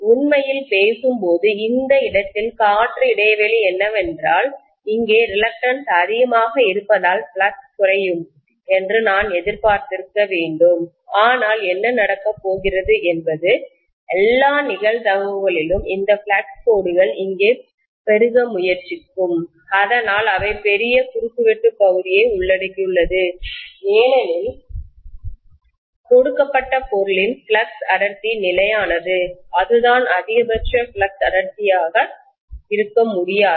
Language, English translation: Tamil, Actually speaking, at this point where the air gap is, because the reluctance is higher here, I should have expected the flux to diminish, but what is going to happen is, in all probability, these lines of flux will try to bulge here so that they cover larger cross sectional area because the flux density for a given material is kind of fixed, I can’t have, that is the maximum flux density I am talking about